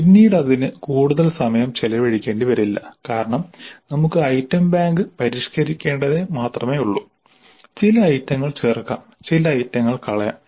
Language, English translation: Malayalam, Subsequently it may not be that much time consuming because we need to only revise the item bank maybe add certain items, delete certain items